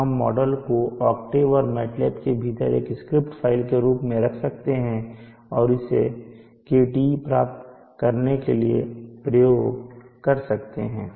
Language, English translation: Hindi, So this model we can put it as script file within the octave and mat lab and execute it to obtain KTe